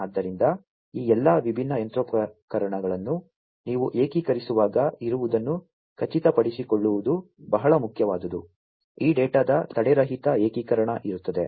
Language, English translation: Kannada, So, there is what is very important is to ensure that there will be when you are integrating all of these different machinery, there will be seamless integration of this data